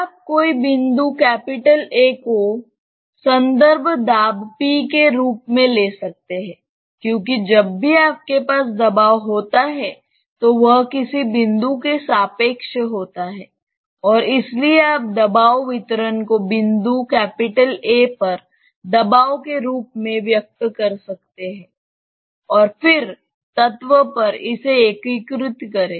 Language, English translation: Hindi, You can you assume any one of the point say A as the reference pressure say p some reference p because always when you have pressure its relative to some point and so you can express the pressure distribution in terms of the pressure at the point A and then, integrate it over the element